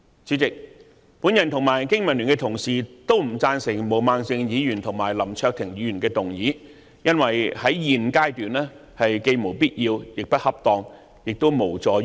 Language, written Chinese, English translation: Cantonese, 主席，我及香港經濟民生聯盟的同事均不贊成毛孟靜議員和林卓廷議員的議案，因為在現階段既無必要，亦不恰當，亦無助於解決問題。, President both the Business and Professionals Alliance for Hong Kong and I do not support Ms Claudia MOs and Mr LAM Cheuk - tings respective motions because they are neither necessary nor appropriate at this stage and will not help solve the problems